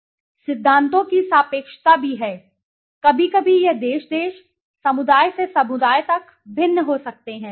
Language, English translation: Hindi, On the other hand there is the relativity of principles also; sometimes this might vary from country to country, community to community